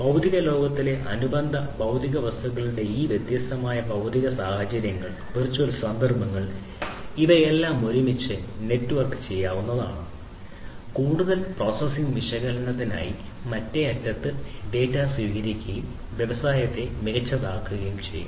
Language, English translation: Malayalam, So, these different physical or virtual instances of the corresponding physical objects in the physical world, these could be networked together and the data would be received at the other end for further processing analysis and so on for making the industry smarter